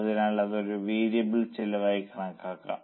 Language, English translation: Malayalam, that is called as a variable cost